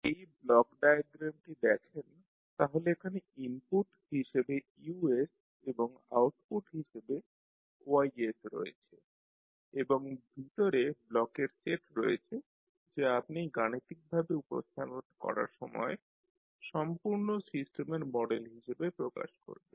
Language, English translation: Bengali, So if you see this particular block diagram you have Us as an input and Ys as an output and inside you have the set of blocks which when you represent them mathematically will give the complete systems model